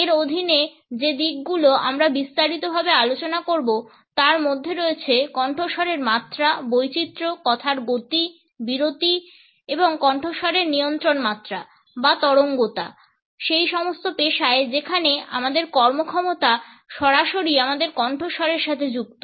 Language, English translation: Bengali, The aspects which we would discuss in detail under it includes pitch, variation, speed of speech, pause and voice modulation or waviness in all those professions where our performance is directly linked with our voice